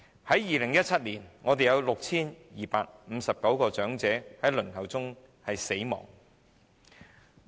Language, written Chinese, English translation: Cantonese, 在2017年，本港有 6,259 位長者在輪候服務中死亡。, In 2017 6 259 elderly people passed away while still waiting for the services in Hong Kong